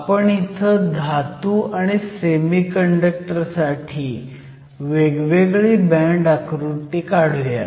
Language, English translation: Marathi, So, once again let me draw the metal and the semiconductor